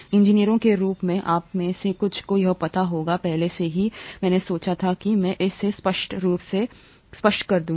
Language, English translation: Hindi, As engineers, some of you would know this already I just thought I will verbalise this clearly